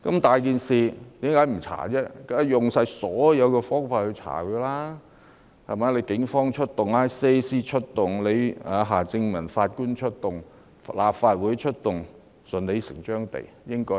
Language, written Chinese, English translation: Cantonese, 大家當然要用盡所有方法調查，出動警方、ICAC、夏正民法官和立法會，也是順理成章的事。, We of course have to employ every means possible to conduct an inquiry . Accordingly as a matter of course the Police and ICAC would be deployed and Mr Michael HARTMANN and the Legislative Council would be engaged